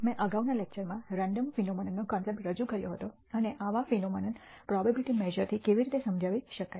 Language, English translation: Gujarati, In the previous lecture I introduced the concept of Random Phenomena and how such phenomena can be described using probability measures